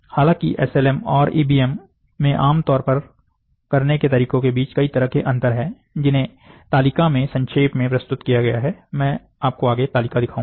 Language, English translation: Hindi, However, there are a number of difference between how SLM and EBM are typically practiced, which are summarised in the table, I will show you the table next